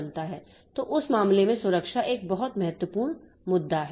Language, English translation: Hindi, So, that protection and security is a very important issue in that case